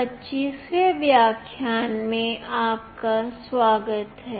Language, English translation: Hindi, Welcome to lecture 25